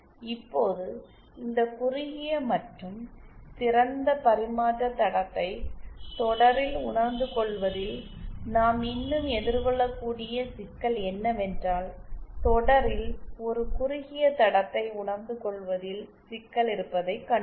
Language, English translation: Tamil, Now how still the problem we can face is in realising these shorted and open transmission line in series we saw we have a problem of realising a shorted line in series